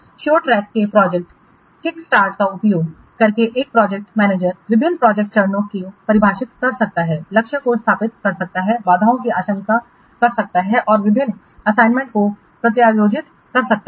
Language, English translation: Hindi, Using Sewardrucks project kickstart, a project manager can define the different project phases, establish the goals, anticipate the obstacles and delegate the different assignments